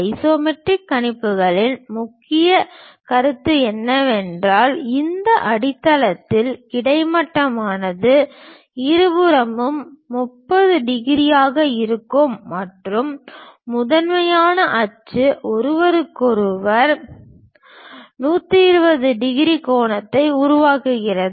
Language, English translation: Tamil, And the main concept of isometric projections is, with the horizontal one of these base will be at 30 degrees on both sides and the principal axis makes 120 degrees angle with each other